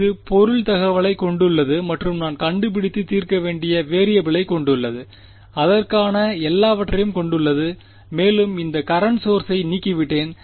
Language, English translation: Tamil, It has the object information and it has the variable that I want to find out that I want to solve for it has everything and I have eliminated this current source